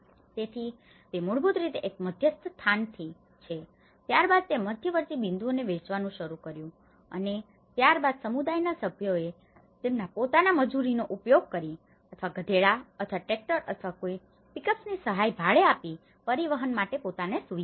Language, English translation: Gujarati, So, it is basically from one central space, then it started distributing to the intermediate points and then the community members facilitated themselves to transport to that whether by using their own labour or hiring the assistance of donkeys or tractors or any pickups